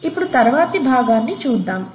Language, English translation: Telugu, Now, let us look at the next part